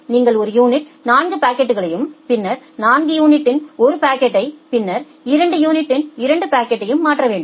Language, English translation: Tamil, You have to transfer 4 packets of one unit then 1 packet of 4 unit then 2 packets of 2 unit